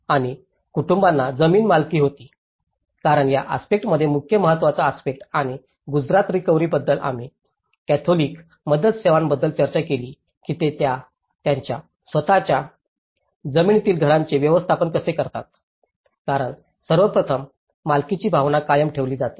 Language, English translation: Marathi, And the families held the ownership of the land because in this aspect the main important aspect and the Gujarat recovery also we did discussed about the catholic relief services how they manage the housing in their own land because first of all, the sense of ownership is retained as it is okay